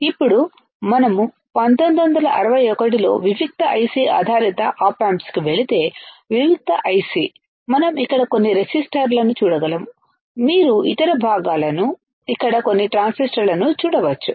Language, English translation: Telugu, Now, if we move to further then discrete IC discrete IC based op amps in 1961, you say discrete IC we can see here some resistors, you can see other components, you can see here some transistors right